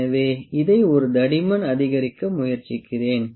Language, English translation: Tamil, So, let me try to increase the thickness this one